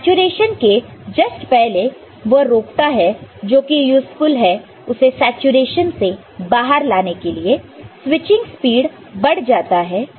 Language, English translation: Hindi, So, just stop short of saturation which is useful in the sense that it helps in bringing it out of the saturation, the time the switching speed increases